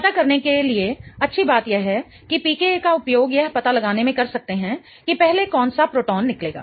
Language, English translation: Hindi, One good thing to know is the use of PCA in figuring out which proton will get abstracted first